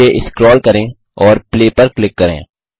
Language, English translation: Hindi, Scroll down and click Play